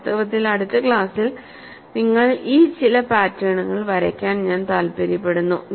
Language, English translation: Malayalam, In fact, in the next class I would like you to sketch some of this fringe patterns